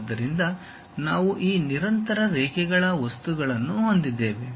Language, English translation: Kannada, So, we have this continuous lines material